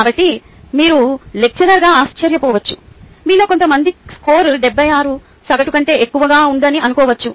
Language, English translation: Telugu, so you might be wondering, as a lecturer, few of you might think that the score seventy six is a above average